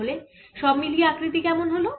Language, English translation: Bengali, how about the overall shape